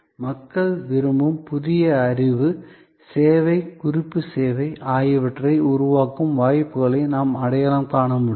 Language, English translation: Tamil, We could identify the opportunities of creating the highly demanded new knowledge service, referential service that people wanted